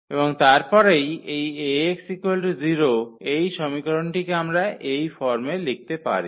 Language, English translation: Bengali, And then this Ax is equal to 0, this equation we can write down in this form